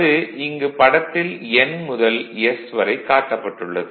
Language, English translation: Tamil, So, this is actually and this is the from N to S